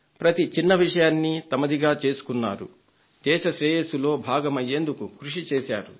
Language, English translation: Telugu, They took up every small cause and made it their own and tried to contribute to the welfare of the country